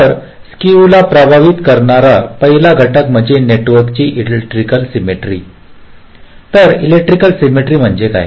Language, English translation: Marathi, so the first factor that affects the skew is the electrical symmetry of the network